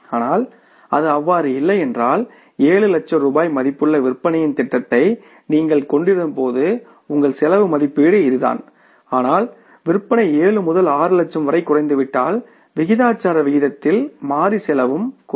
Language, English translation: Tamil, But if it is not that way that when you had the plan for the 7 lakh worth of rupees sales, your cost estimates was this but when the sales came down from the 7 to 6 lakhs, cost has not proportionately come down at least the variable cost